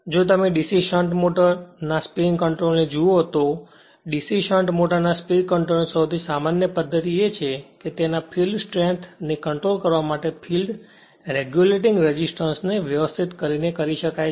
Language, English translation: Gujarati, The the most common method of speed control of a DC shunt motor is when controlling it is field strength by adjusting the field regulating resistance